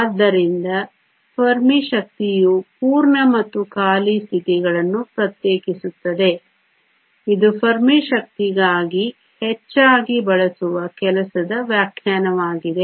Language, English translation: Kannada, So, Fermi energy separates the full and empty states this is the most often used working definition for Fermi energy